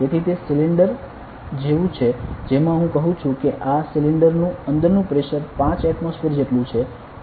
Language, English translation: Gujarati, So, it is like a cylinder I say this cylinder has a pressure inside is equal to 5 atmospheres